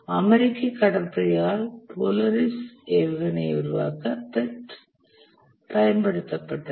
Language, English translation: Tamil, The part was used by US Navi for development of the Polaris missile